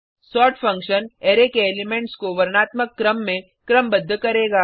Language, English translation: Hindi, sort function will sort the elements of an Array in alphabetical order